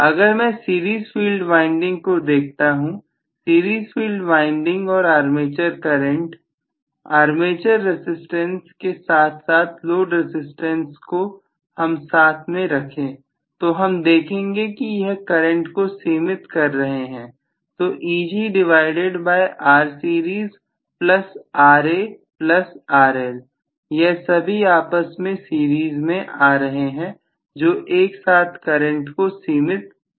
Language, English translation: Hindi, So, if I look at the series field winding, the series field winding and the armature current, armature resistance along with the load resistance are limiting the current all of them put together, so Eg divided by R series plus whatever is Ra plus RL all of them are coming in series that is what is limiting the current, so if I just applied 220 volts to the series field winding there is nothing to limit the current properly